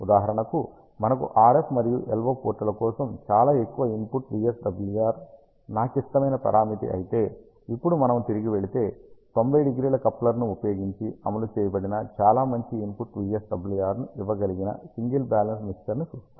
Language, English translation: Telugu, For example, if I if I require a very high input VSWR for the RF and LO ports is my critical concern, then if we go back, you see that a single balance mixer implemented using 90 degree coupler gives us a very good input VSWR